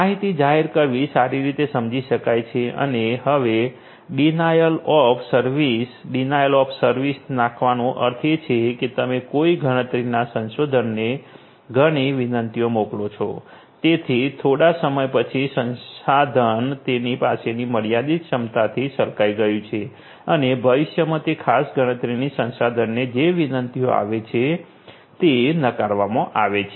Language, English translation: Gujarati, Information this disclosure is well understood and denial of service; denial of service means like you know you send so many requests to a computational resource that after some time that resource is over flooded with the limited capacity that it has and that is how basically the future requests that are sent to that particular computational facility, those are going to be denied